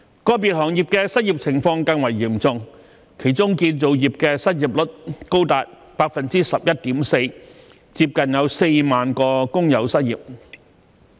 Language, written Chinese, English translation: Cantonese, 個別行業的失業情況更為嚴重，其中建造業的失業率高達 11.4%， 接近4萬名工友失業。, The unemployment situation in individual sectors is even more serious with the unemployment rate of the construction industry being as high as 11.4 % and close to 40 000 workers out of work